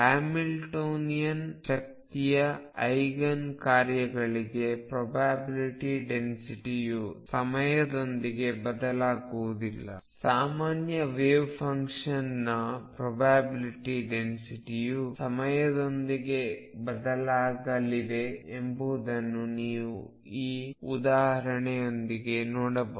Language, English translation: Kannada, The probability density for Eigen functions of Hamilton Hamiltonian energy Eigen functions do not change with time on the other hand, you can see from this example that the probability density for a general wave function is going to change with time